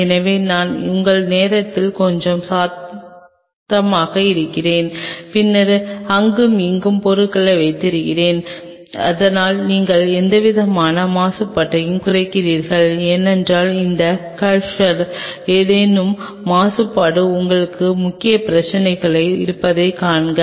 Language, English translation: Tamil, So, you might as well thing little louder I head of your time and have the things then and there, so that you minimize any kind of contamination because see your major problem will be contamination in any of these cultures